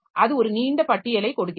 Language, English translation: Tamil, So, like that it gives a long list